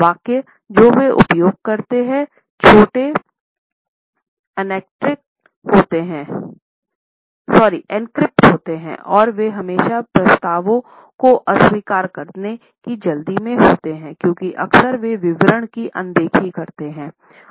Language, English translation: Hindi, The sentences they use a rather short encrypt and they are always in a hurry to reject the proposals because often they tend to overlook the details